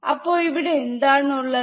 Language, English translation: Malayalam, So, here what is there